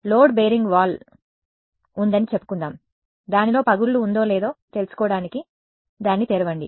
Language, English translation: Telugu, Let us say there is a load bearing wall I cannot you know open it up to see whether is a crack in it or not